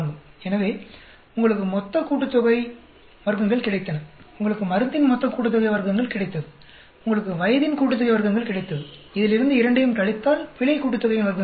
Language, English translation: Tamil, So, you got total sum of squares, you got drug sum of squares, you got age sum of squares, if you subtract both from this you will get error sum of squares